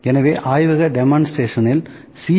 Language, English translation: Tamil, So, laboratory demonstration on using C